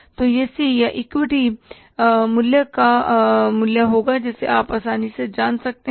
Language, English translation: Hindi, So that will be the value of the C or the equity capital you can easily find out